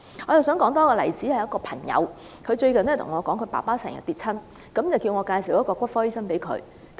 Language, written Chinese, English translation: Cantonese, 另外一個例子是最近有一位朋友告訴我，他的父親經常跌倒，要我介紹一位骨科醫生給他。, Let me cite another example . A friend of mine told me lately that his father often tumbled down and asked me to refer him to an orthopaedist